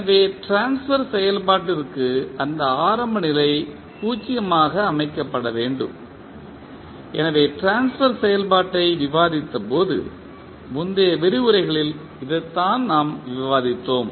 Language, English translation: Tamil, So, by definition the transfer function requires that initial condition to be said to 0, so this is what we have discussed when we discussed the transfer function in the previous lectures